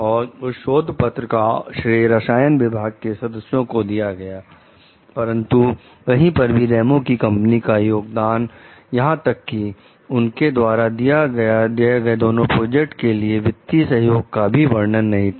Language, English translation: Hindi, The paper credits the members of the chemistry department, but nowhere mentions the contributions of Ramos s company, even though its funds supported both projects